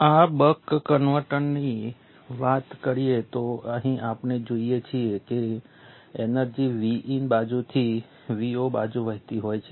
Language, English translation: Gujarati, Consider this buck converter here we see that the energy is flowing from the V In side to the V 0 side